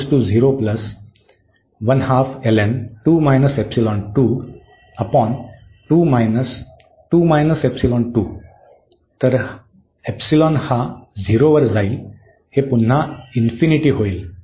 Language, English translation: Marathi, So, this term will also go to 0